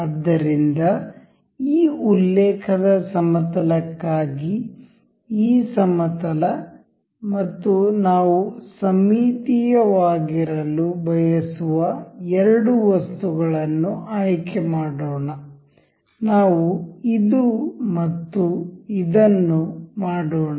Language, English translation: Kannada, So, for this plane of reference, let us just select say this plane and the two items that we want to be symmetric about, let us say this one and this